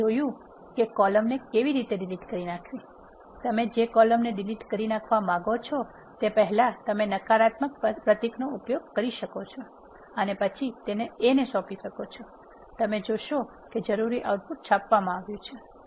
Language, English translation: Gujarati, You have seen how to delete a column, you can use negative symbol before the columns which you want to delete and then assign it to A you will see that the required output is printed